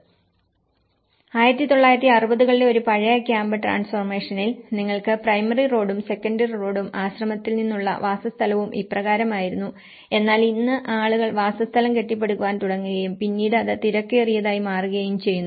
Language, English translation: Malayalam, In an old camp transformations in 1960s, you have the primary road and you have the secondary road and from the monastery and this is how the dwellings were but then today people start building up and then it becomes crowded